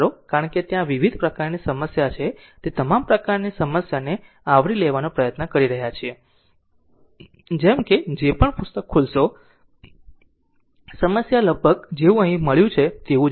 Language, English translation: Gujarati, Because, whatever various kinds of problems are there perhaps trying to cover all types of your problem, such that whatever whatever book you will open, you will find problems are almost similar to that whatever has been done here right